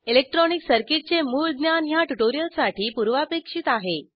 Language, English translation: Marathi, Basic knowledge of electronic circuits is a prerequisite for this tutorial